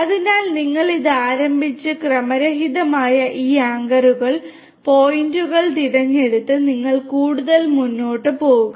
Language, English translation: Malayalam, And, so, you start with this you randomly select these anchors, the points and then you proceed further